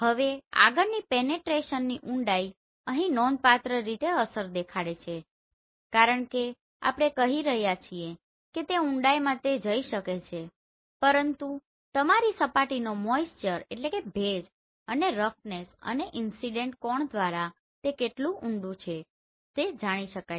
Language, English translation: Gujarati, Now the next is depth of penetration is significantly get affected here because the depth we are saying it can penetrate, but how far so that defined by moisture content of your surface and the roughness and the incident angle